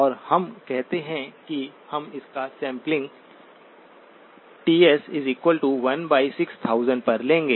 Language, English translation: Hindi, And we say that we would sample it at Ts equals 1 by 6000